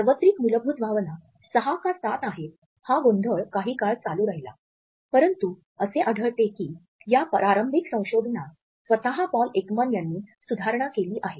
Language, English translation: Marathi, The confusion whether the universal basic emotions are six or seven continued for some time, but we find that this initial research was revised by Paul Ekman himself